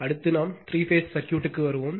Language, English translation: Tamil, And next, we will come to the three phase circuit